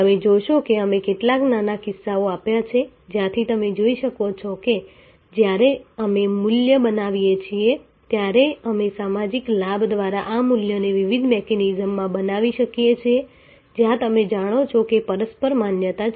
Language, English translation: Gujarati, So, you will see that the, we have given some small cases from where you can see that when we create value, we can create this value to different mechanism through social benefit, where you know there is a mutual recognition